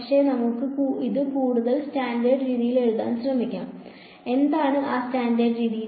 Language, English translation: Malayalam, But, let us try to write it in a more standard way and what is that standard way